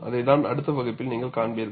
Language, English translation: Tamil, That is what you would see in the next class